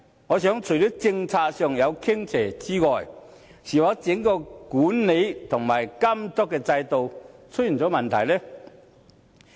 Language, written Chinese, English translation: Cantonese, 我認為除了政策上有傾斜之外，是否整個管理和監督制度出現問題呢？, Apart from a policy imbalance I just wonder are there any problems with the entire management and regulatory regime?